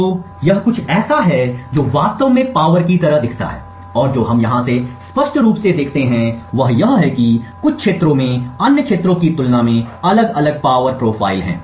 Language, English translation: Hindi, So, this is something of what the power actually looks like and what we clearly see from here is that certain regions have a distinctively different power profile compared to other regions